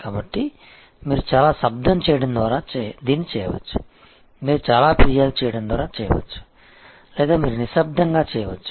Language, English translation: Telugu, So, you can do that by making a lot of noise, you can by making a lot of complaint or you can do it quietly